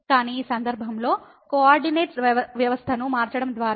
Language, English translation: Telugu, But in this case by changing the coordinate system